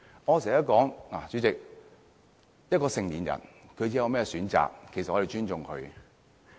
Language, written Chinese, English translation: Cantonese, 主席，我經常說，一個成年人作出甚麼選擇，我們要尊重。, Chairman I often say that we must respect any choice made by an adult